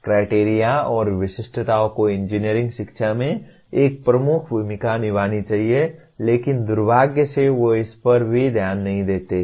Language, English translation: Hindi, Criteria and specifications should play a dominant role in engineering education but unfortunately they do not even receive scant attention to this